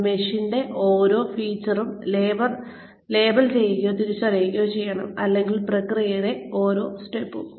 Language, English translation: Malayalam, It should be, label or identify, each feature of the machine, and or step in the process